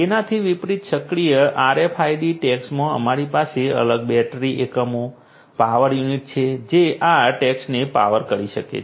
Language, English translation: Gujarati, In active RFID tags on the contrary we have separate battery units, power units that can power these tags